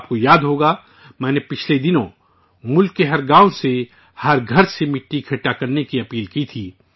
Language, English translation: Urdu, You might remember that recently I had urged you to collect soil from every village, every house in the country